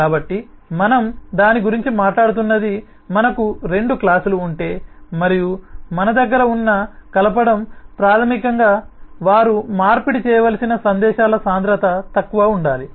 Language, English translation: Telugu, so that's what we are talking about: that if we have the two classes and the coupling that we have, which is basically the density of messages that they need to exchange, has to be low